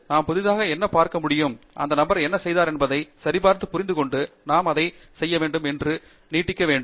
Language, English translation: Tamil, We can actually look at what is new there, and what is that I need to do to validate what that person has done, and then what is it that I can extend